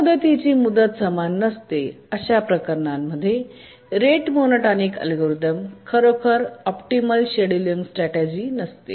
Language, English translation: Marathi, So, in cases where deadline is not equal to the period, rate monotonic algorithm is not really the optimal scheduling strategy